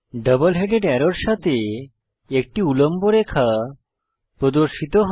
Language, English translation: Bengali, A vertical line appears along with the double headed arrow